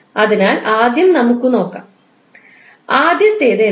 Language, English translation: Malayalam, So let's see the first one, what is first one